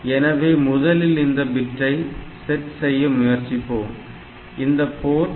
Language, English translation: Tamil, So, there I do like first we try this set bit, so this Port 1